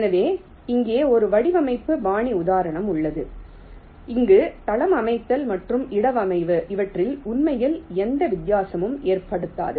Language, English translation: Tamil, ok, so here there is one design style example where floorplanning and placement does not make any difference, actually, right